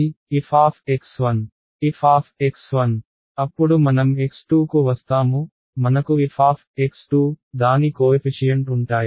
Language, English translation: Telugu, f of x 1, then I will come to x 2, I will f of x 2 with its coefficient will be